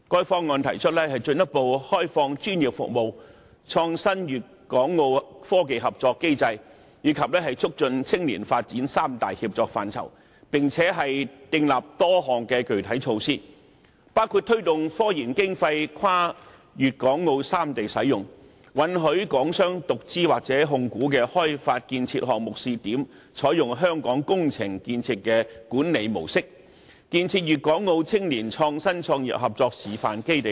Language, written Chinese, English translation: Cantonese, 《方案》提出"進一步開放專業服務"，"創新粵港澳科技合作機制"，以及"促進青年發展"三大協作範疇，並且訂立多項具體措施，包括推動科研經費跨粵港澳三地使用；允許港商獨資或控股的開發建設項目試點，採用香港工程建設的管理模式；建設粵港澳青年創新創業合作示範基地等。, The Plan sets out three major areas of concerted actions the further liberalization of professional services a mechanism for Guangdong - Hong Kong - Macao cooperation in innovation and technologies; and the promotion of youth development . Concrete measures are also drawn up including promoting the use of technological research funding across Guangdong Hong Kong and Macao; allowing pilot development projects solely funded by Hong Kong businesses or with Hong Kong shareholding to adopt the Hong Kong approach of construction project governance; and setting up a base to showcase Guangdong - Hong Kong - Macao cooperation in youth innovation and business start - ups